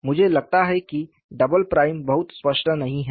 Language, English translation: Hindi, I think the double prime is not very clear